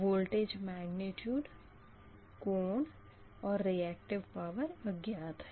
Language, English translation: Hindi, unknown is that voltage magnitude, angle and the reactive power, right